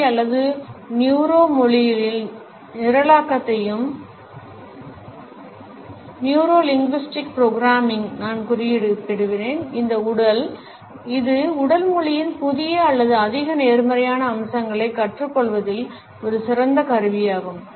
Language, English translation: Tamil, I would also refer to NLP or Neuro Linguistic Programming in this context which is an effective tool as for as learning new or more positive aspects of body language is concerned